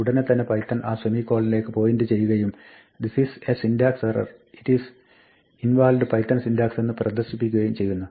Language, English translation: Malayalam, Then immediately python points to that semicolon and says this is a syntax error it is invalid python syntax